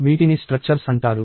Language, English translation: Telugu, These are called structures